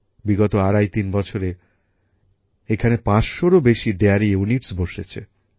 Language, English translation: Bengali, During the last twoandahalf three years, more than 500 dairy units have come up here